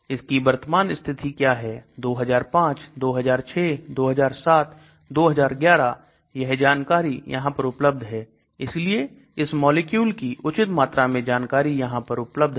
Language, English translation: Hindi, What is the current status 2005, 2006, 2007, 2011, so those details are also given on this and so good amount of information is given about this particular molecule